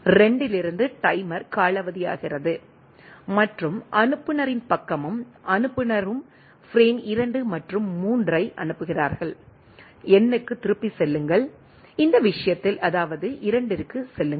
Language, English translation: Tamil, The timer from the 2 expire and the sender side and sender sends frame 2 and 3, go back to N, that is go back to 2, in this case